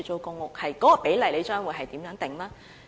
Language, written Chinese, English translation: Cantonese, 有關比例將如何釐定？, How is she going to determine the ratio?